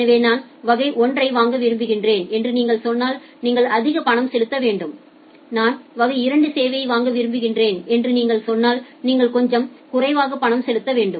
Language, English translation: Tamil, So, if you say that I want to purchase class 1 you have to pay more money, if you say that I want to purchase class 2 service, you have to pay little less money and so on